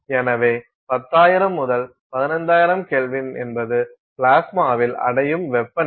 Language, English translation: Tamil, So, 10,000 to 15,000K is the kind of temperature that is attained at the plasma